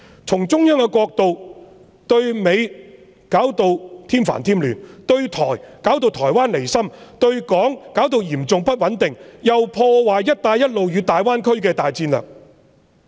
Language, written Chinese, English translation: Cantonese, 從中央的角度看來，對美弄得添煩添亂，對台弄得台灣離心，對港造成嚴重不穩定，又破壞"一帶一路"和大灣區的大戰略。, From the perspective of CPG she has stirred up more troubles towards the United States provoked separatist tendency in Taiwan plunged Hong Kong into serious instability and ruined the grand strategy of the Belt and Road Initiative and the Greater Bay Area